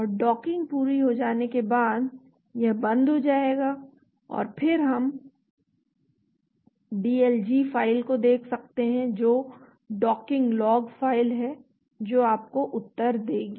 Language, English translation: Hindi, And once the docking is completed it will stop and then we can look at the DLG file that is Docking Log File that gives you the answer